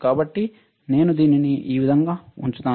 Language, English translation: Telugu, So, I will put it like this